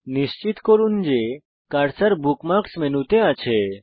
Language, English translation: Bengali, * Ensure that the cursor is over the Bookmarks menu